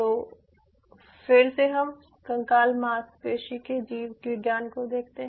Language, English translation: Hindi, so again, just lets visit the skeletal muscle biology as a backup